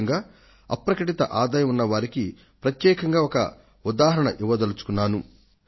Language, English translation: Telugu, And now I want to cite an example especially for those people who have undisclosed income